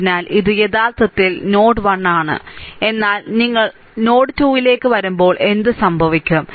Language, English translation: Malayalam, So, this is this is actually node 1, but when you come to node 2, node 2 then what will happen